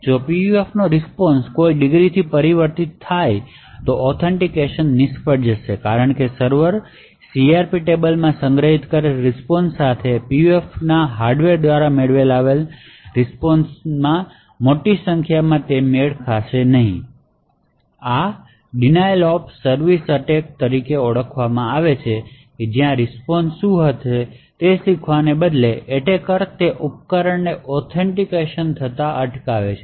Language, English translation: Gujarati, So if the PUF response is altered beyond a particular degree, the authentication would fail because the server would find a large amount of mismatch with the response which is stored in the CRP table and the response of obtained by the PUF hardware, this would be more like a denial of service attack, where the attacker rather than learning what the response would be is essentially preventing the device from getting authenticated